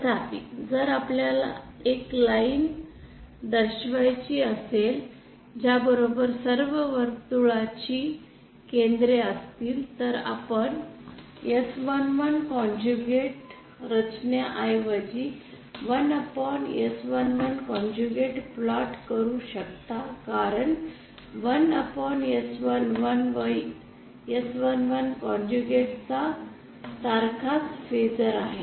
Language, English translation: Marathi, However if we have to locate the line along which all the circles will have their centers then we can instead of plotting S 1 1 conjugate we simply plot 1 upon S 1 1 because 1 upon S11 has the same phaser as S 11 conjugate